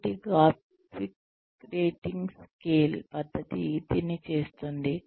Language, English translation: Telugu, So, the graphic rating scale method, would do this